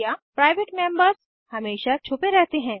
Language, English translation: Hindi, private members are always hidden